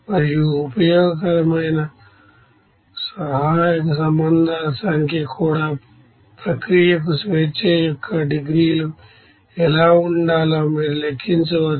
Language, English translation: Telugu, And also number of useful auxiliary relations you can calculate what should be the degrees of freedom for the process